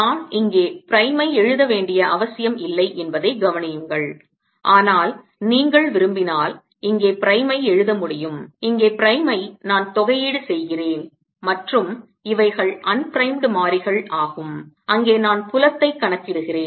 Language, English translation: Tamil, notice that i did not have to write prime out here, but if you like i can write prime here, prime here denoting that prime is actually where i am integrating and prime here and no unprimed variables are those where i am calculating